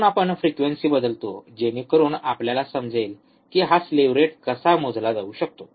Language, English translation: Marathi, So, we change the frequency so that we can understand how this slew rate can be measure ok